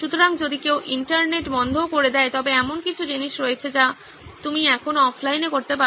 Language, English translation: Bengali, So in case somebody pulls the plug on the Internet, also there is things that you can still do offline